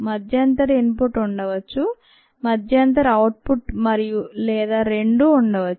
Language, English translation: Telugu, there could be intermittent input, there could be intermittent output and ah, or both